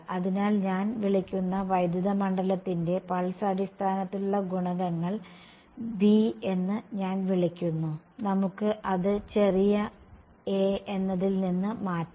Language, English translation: Malayalam, So, the coefficients in the pulse basis for the electric field I am calling v fine let us just change it from small a